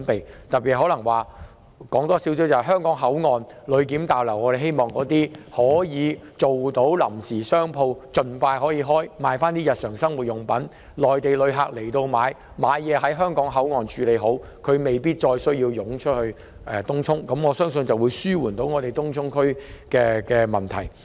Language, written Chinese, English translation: Cantonese, 我特意提出一項建議，在香港口岸的旅檢大樓，政府應盡快安排臨時商鋪經營，出售日常生活用品，以便有意來港購物的內地旅客可在香港口岸消費，無需湧出東涌，我相信這樣能紓緩東涌的問題。, At the Passenger Clearance Building of the Hong Kong Port area the Government should expeditiously make arrangements for the operation of temporary shops to sell daily necessities so that Mainland tourists who intend to go shopping in Hong Kong can stay at the Hong Kong Port area for spending . It will not be necessary for them to flock to Tung Chung . I believe that this will help alleviate the problems of Tung Chung